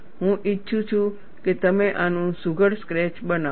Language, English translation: Gujarati, I would like you to make a neat sketch of this